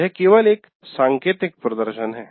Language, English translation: Hindi, This is only an indicative one